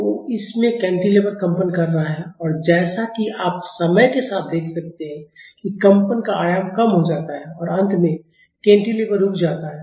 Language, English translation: Hindi, So, in this the cantilever is vibrating and as you can see with time the amplitude of vibration reduces and finally, the cantilever is coming to rest